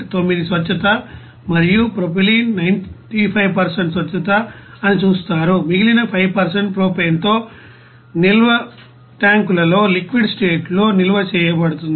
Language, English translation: Telugu, 9% purity and propylene it is 95% purity whereas remaining 5% maybe mixed with propane are stored in a liquid state in a storage tanks